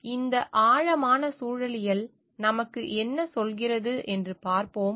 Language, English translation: Tamil, So, let us see what this deep ecology tells us